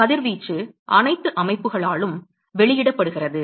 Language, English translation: Tamil, So, the radiation is emitted by all the systems